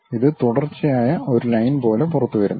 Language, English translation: Malayalam, It comes out like a continuous line